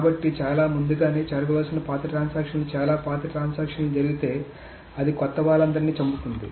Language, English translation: Telugu, So if an old transaction, some very, very old transaction that was supposed to happen much earlier comes, it will kill all the young ones